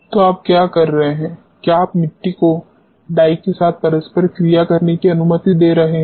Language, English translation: Hindi, So, what you are doing is you are allowing soil to interact with a dye